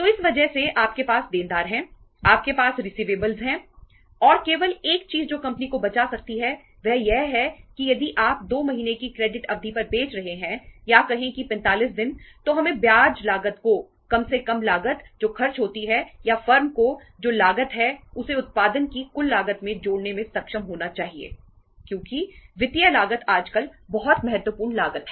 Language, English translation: Hindi, So because of that you have debtors you have receivables and only thing that can save the company is that if you are selling on credit period of say for 2 months or say 45 days we should be able to add up the interest cost at least the cost which is incurred or cost to the firm that they should be able to add up to the total cost of production because financial cost is a very very important cost nowadays